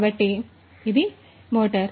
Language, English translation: Telugu, So, this is a motor